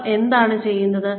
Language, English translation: Malayalam, What they are doing